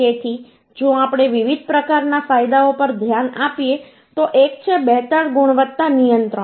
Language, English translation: Gujarati, So if we look into the different type of advantages, one is the better quality control